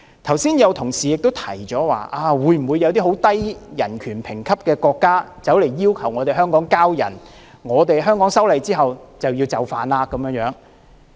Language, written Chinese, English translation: Cantonese, 剛才有同事提出，如果有一些人權評級很低的國家要求香港移交逃犯，我們修例後是否就要就範？, A Member asked earlier whether after the amendment of the laws Hong Kong has to accede to the surrender request made by a country with very low ranking in human rights